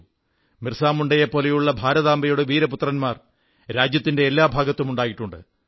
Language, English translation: Malayalam, Illustrious sons of Mother India, such as BirsaMunda have come into being in each & every part of the country